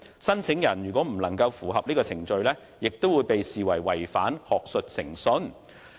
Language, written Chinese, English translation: Cantonese, 申請人如未能符合以上程序，亦會被視為違反學術誠信。, Failing to comply with the aforesaid procedure the applicant will be regarded as violating academic integrity